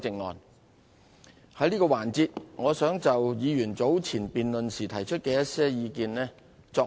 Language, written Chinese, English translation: Cantonese, 我想在這個環節扼要回應委員早前在辯論時提出的一些意見。, In this session I wish to briefly respond to some opinions expressed by Members earlier in the debate